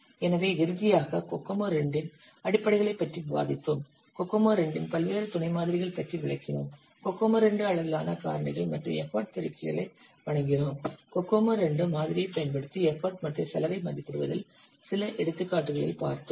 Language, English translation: Tamil, So finally we have discussed the fundamentals of Kokomo 2, explained the various sub models of Kokomo 2, presented the Kokomo 2 scale factors and effort multipliers, solved some examples on estimating import and cost using Kokomo 2 model